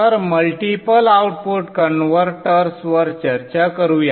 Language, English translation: Marathi, So let us discuss multi output converters